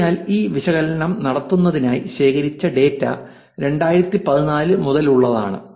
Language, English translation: Malayalam, So, data that was collected for doing this analysis is from 2014